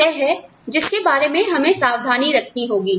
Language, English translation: Hindi, So, that is what, we need to be careful about